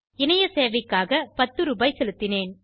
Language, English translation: Tamil, Actually I paid 10 rupees for the online services